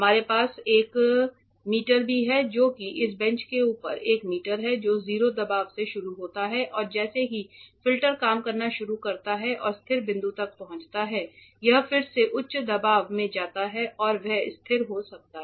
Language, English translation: Hindi, We also have a meter which we which I will show you shortly there is a meter on top of this bench which starts with 0 pressure and as and when the filter starts operating and reaches a stable point it re goes to a higher pressure and stabilizes there that change we also we will see shortly